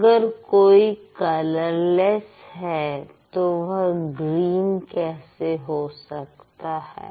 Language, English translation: Hindi, And if it is colorless, it must not be green